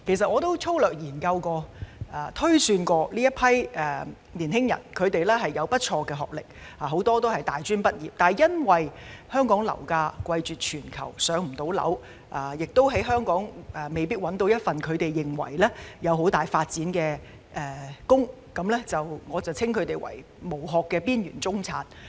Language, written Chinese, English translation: Cantonese, 我曾粗略研究，這群青年人有不錯的學歷，很多人是大專畢業，但由於香港樓價貴絕全球，所以未能"上樓"，而在香港亦未必能夠找到有很大發展機會的工作，所以我稱他們為"無殼"的邊緣中產。, After a cursory examination I found that these young people have good academic qualifications as many of them are tertiary graduates but given that property prices in Hong Kong are the highest in the world they cannot afford to buy their own homes and may not be able to find jobs in Hong Kong that offer great development opportunities . That is why I call them the shell - less marginal middle class